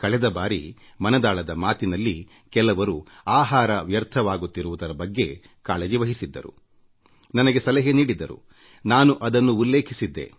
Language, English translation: Kannada, In the previous 'Mann Ki Baat', some people had suggested to me that food was being wasted; not only had I expressed my concern but mentioned it too